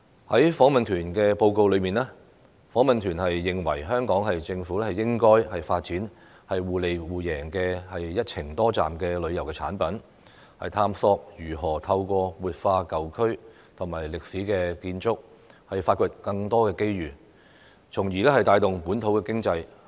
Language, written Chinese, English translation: Cantonese, 在訪問團的報告中，訪問團認為香港政府應該發展互利互贏的"一程多站"旅遊產品，探索如何透過活化舊區和歷史建築，發掘更多的機遇，從而帶動本土經濟。, As stated in the report of the delegation the delegation opined that the Hong Kong Government should develop multi - destination tourism products that can achieve complementarity and mutual benefits; and should examine ways to identify more development opportunities through revitalizing old districts and historic buildings thereby boosting local economy